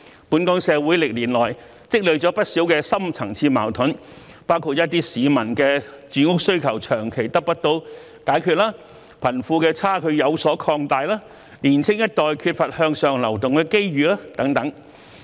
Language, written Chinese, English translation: Cantonese, 本港社會歷年來積聚了不少深層次矛盾，包括一些市民的住屋需求長期得不到解決、貧富差距有所擴大、年青一代缺乏向上流動的機遇等。, Many deep - seated conflicts have accumulated in our society over the years including a long - standing failure to meet the housing demand of some members of the public a widening disparity between the rich and the poor and a lack of opportunities for upward mobility for the young generation